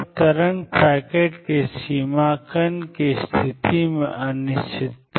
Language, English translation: Hindi, Then the extent of wave packet is the uncertainty in the position of the particle